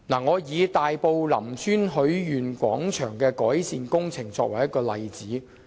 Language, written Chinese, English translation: Cantonese, 我以大埔林村許願廣場的改善工程為例。, Taking the improvement to the Lam Tsuen Wishing Square in Tai Po as an example